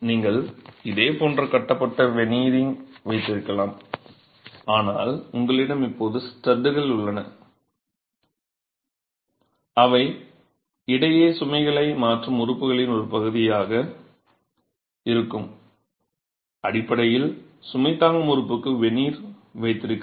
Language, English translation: Tamil, So you can have a similar tied veneering but you have studs now which are then part of the member that transfers load between, basically holds the veneer onto the load bearing element